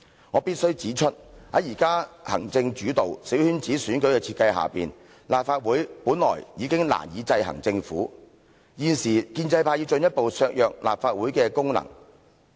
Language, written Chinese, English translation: Cantonese, 我必須指出，現在行政主導、小圈子選舉的設計之下，立法會本來已經難以制衡政府，現時建制派要進一步削弱立法會的功能。, I must point out that it is already difficult for LegCo to exercise checks and balances on the Government due to the executive - led principle and its coterie election design . Now the pro - establishment camp even seeks to further undermine the functions of LegCo